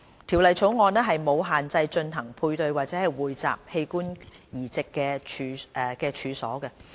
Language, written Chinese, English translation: Cantonese, 《條例草案》沒有限制進行配對或匯集器官移植的處所。, The Bill makes no restriction on the premises in which the transplant of organ from paired or pooled donation takes place